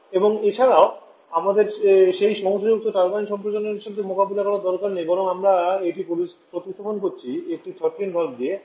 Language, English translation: Bengali, And also we do not have to deal with that problematic turbine expansion rather we are replacing that withany with at throttling valve